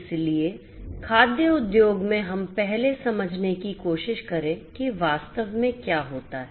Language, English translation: Hindi, So, in the food industry let us first try to understand what actually happens